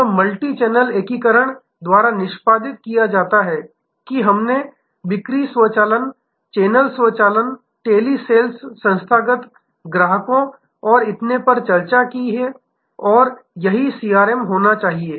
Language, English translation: Hindi, This is executed by the multichannel integration, that we discussed sales automation, channel automation telesales institutional clients and so on and this is, this should be CRM